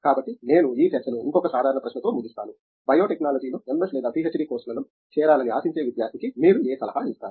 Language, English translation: Telugu, So, let me sort of, I mean wind up this discussion with the one more general question for you, what advice would you gave to a student whose is aspiring to join an MS or a PhD program in biotechnology